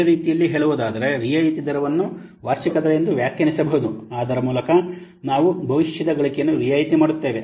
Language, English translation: Kannada, In other words, we can say that discount rate is defined as the annual rate by which the discount by which we discount the future earnings mathematically